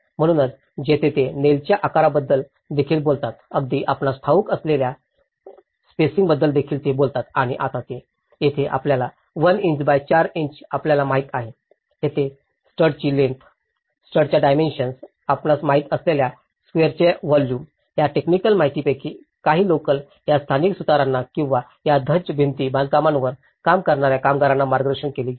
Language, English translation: Marathi, So, this is where they even talk about the nail sizes, they even talk about the spacings to it you know and now, here 1 inch by 4 inch you know, there even talking about the length of studs, the dimensions of the studs, the volume of the squares you know now, some of the technical details which has been given some guidance to these local carpenters or the artisans who are going to work on these Dhajji wall constructions